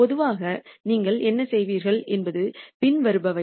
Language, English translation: Tamil, Typically what you would do is the following